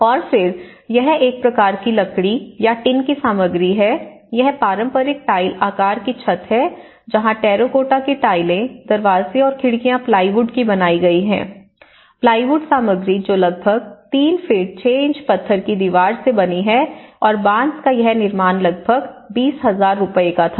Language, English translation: Hindi, And then, this is a kind of wooden material or a tin material and then this is the traditional tile pattern roof where the terracotta tiles and the doors and windows are made with the plywood, the plywood material which is made about 3 feet 6 inches stone wall and this bamboo construction was about 20,000 rupees